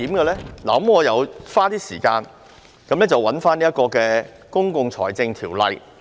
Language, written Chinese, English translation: Cantonese, 我花了一些時間翻閱《公共財政條例》。, I spent some time reading the Public Finance Ordinance